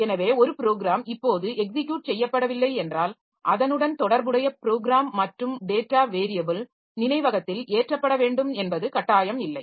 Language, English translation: Tamil, So, if a program is not executing now, so it is not mandatory that I should have the corresponding program and data variables loaded into the memory